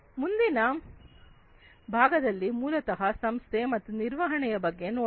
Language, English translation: Kannada, The next thing is basically the organization and management